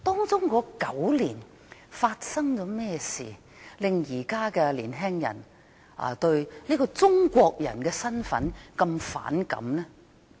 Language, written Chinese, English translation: Cantonese, 這9年發生了甚麼事，令現在的年輕人對中國人這個身份這麼反感？, What has actually happened over the nine years such that young people nowadays are so repulsed by the Chinese identity?